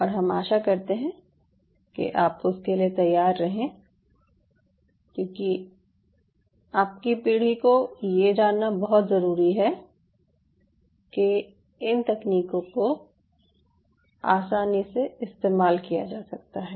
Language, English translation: Hindi, and i wish all of you ah should be braced up for that, because thats your generation, when you really have to know how these technologies can can come very handy